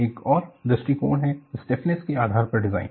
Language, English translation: Hindi, There is another approach, design based on stiffness